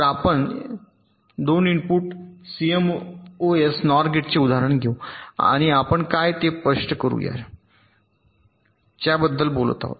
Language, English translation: Marathi, so lets take the example of a two input cmos nor gate and lets illustrate what we are talking about